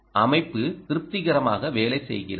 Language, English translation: Tamil, the system was working satisfactorily